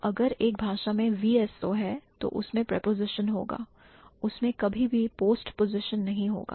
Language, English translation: Hindi, So, if a language has VSO, then it will have a preposition